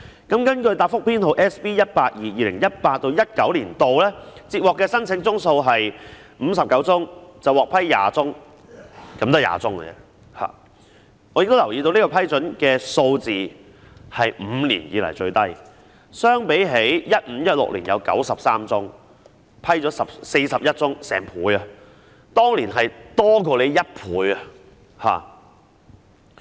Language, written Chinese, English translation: Cantonese, 根據答覆編號 SB182， 在 2018-2019 年度，接獲的申請宗數為59宗，獲批20宗——只是20宗而已——我亦留意到這個批准數字是5年以來最低，相比 2015-2016 年度有93宗申請，獲批41宗，當年的數字多出1倍。, SB182 the number of applications received in 2018 - 2019 was 59 of which 20 was approved―only 20―I have also noticed that this number of approvals is the lowest in five years . In comparison in 2015 - 2016 there were 93 applications of which 41 were approved . The number at that time was double